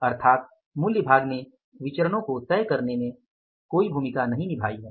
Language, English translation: Hindi, So, it means price part has not played any role in making the variances